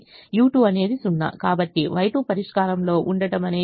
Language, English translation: Telugu, so y one is zero because u one is in the solution